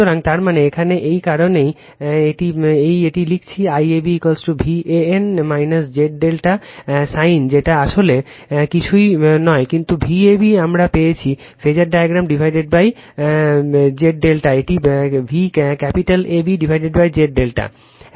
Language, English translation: Bengali, So, that means, here that is why you are writing this one IAB is equal to V an minus Z delta s nd that is actually nothing, but V ab we got it the phasor diagram by Z delta that is V capital AB upon Z delta